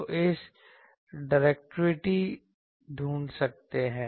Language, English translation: Hindi, So, we can find directivity